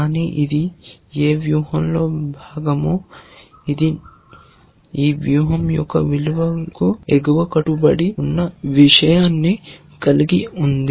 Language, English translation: Telugu, But whichever strategy it is a part of, it has this property that it is an upper bound of the value of this strategy